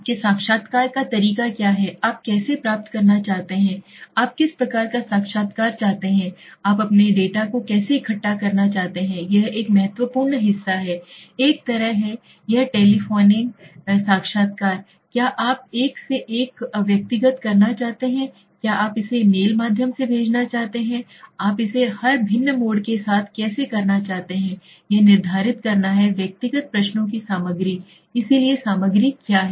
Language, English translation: Hindi, What is your type of interviewing method, how do you want to get, what kind of interview you want to do, how do you want to collect your data is that an important part, is it that like a telephoning interview, do you want to do one to one personal, do you want to send it through mail, how do you want to do it everything with every different mode it varies, determine the content of the individual questions so what is the content